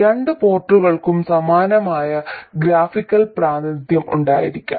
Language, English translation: Malayalam, We can make a similar graphical representation for the two port